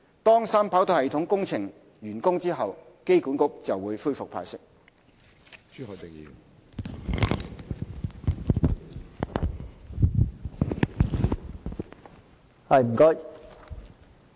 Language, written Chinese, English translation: Cantonese, 當三跑道系統工程完工後，機管局便會恢復派息。, Dividend payments will resume upon the completion of the 3RS project